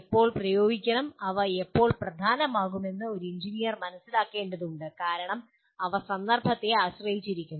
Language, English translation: Malayalam, And to that extent when to apply, when they become important an engineer needs to understand, because they are context dependent